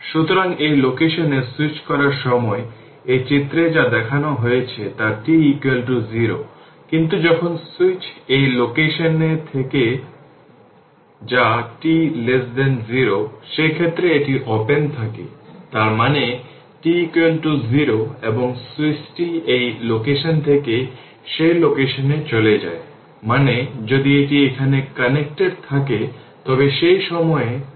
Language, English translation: Bengali, So, when switch in this position whatever shown in this figure at t is equal to your what you call it is switch is open at t equal to 0, but when switch is in this position that is t less than 0, in that case this is open; that means, your i t is equal to 0, right